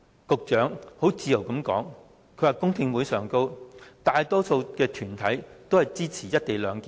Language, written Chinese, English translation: Cantonese, 局長很自豪地說在公聽會上，大多數團體均支持"一地兩檢"。, The Secretary proudly said in the public hearing that the majority of organizations were in support of the co - location arrangement